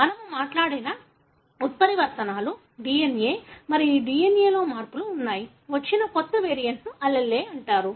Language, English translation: Telugu, The mutations we spoke about were there are changes in the DNA and the DNA, the new variant that came in is called as allele